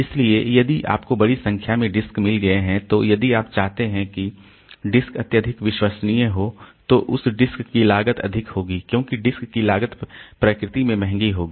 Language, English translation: Hindi, So, if we have got a large number of disks then if you if you want the disk to be highly reliable then the cost of those disk will be high because the it is the cost the disk will be expensive in nature